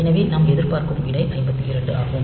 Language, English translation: Tamil, So, the result that we expect is 52